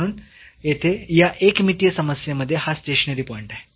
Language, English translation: Marathi, So, here this is a stationary point in this one dimensional problem